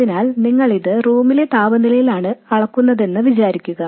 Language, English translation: Malayalam, So let's say you measure it at room temperature